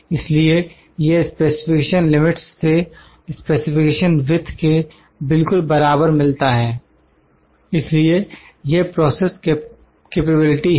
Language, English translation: Hindi, So, this meets this specification limit exactly equal to specification width so, this is the process capability